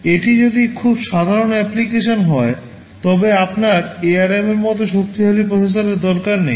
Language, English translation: Bengali, If it is a very simple application you do not need a processor as powerful as ARM